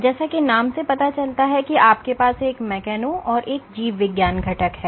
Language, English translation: Hindi, As the name suggests you have a mechano and a biology component